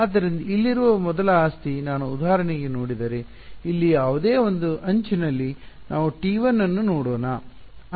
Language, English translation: Kannada, So, the first property over here is if I look at for example, any one edge over here let us look at T 1